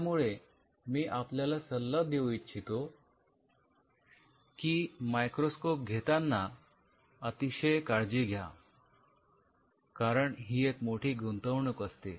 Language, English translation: Marathi, So, I will recommend in terms of the microscope you be very careful because this is a big investment